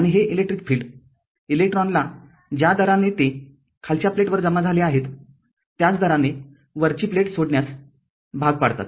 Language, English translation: Marathi, And this electric field forces electrons to leave the upper plate at the same rate that they accumulate on the lower plate right